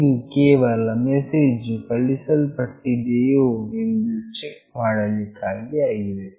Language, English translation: Kannada, This is just for the checking purpose that the message has been sent or not